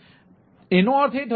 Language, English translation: Gujarati, so that means ah